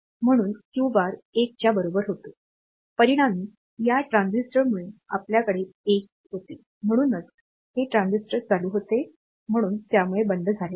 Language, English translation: Marathi, So, Q bar was equal to 1; as a result this transistor we had a 1 here; so, this transistor was on, so it is not off; it was on